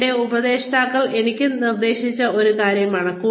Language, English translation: Malayalam, So, this is something that had been suggested to me, by my mentors